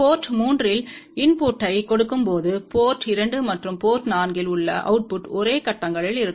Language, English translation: Tamil, And when we give input at port 3, then the output at port 2 and port 4 are in the same phases